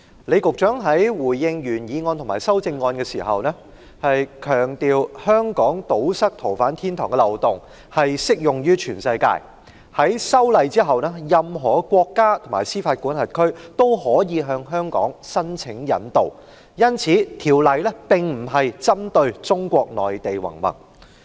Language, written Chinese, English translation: Cantonese, 李局長在回應原議案和修正案時，強調香港要堵塞逃犯天堂的漏洞，在修例後，任何國家和司法管轄區均可以向香港申請引渡，因此修例並不是針對中國內地云云，而是適用於全世界。, In responding to the original motion and amendments Secretary John LEE emphasized that Hong Kong should plug the loophole that makes Hong Kong a haven for fugitive offenders and that the amendment is not only applicable to Mainland China but also all around the world for extradition requests can be raised by any country and jurisdiction